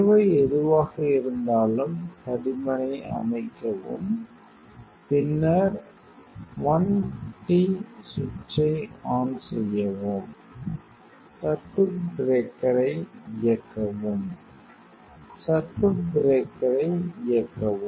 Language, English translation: Tamil, Whatever you need you please set the thickness then switch on the l t switch, switch on the circuit breaker; switch on the circuit breaker